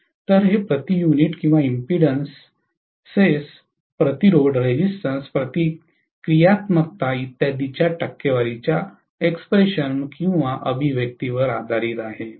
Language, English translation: Marathi, So, this is based on per unit or percentage expression of the impedances, resistances, reactance’s and so on and so forth